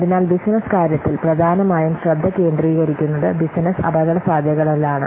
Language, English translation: Malayalam, So in business case, the main focus is in business risk